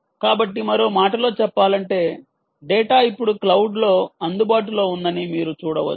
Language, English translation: Telugu, so, in other words, quite seamlessly, you can see the data is now available on the cloud